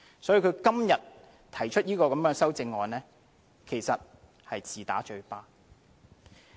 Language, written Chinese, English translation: Cantonese, 所以，他今天提出這項修正案，其實是自打嘴巴。, For that reason he is simply slapping on his own face when proposing such amendments